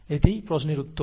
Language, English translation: Bengali, So that is the answer to the question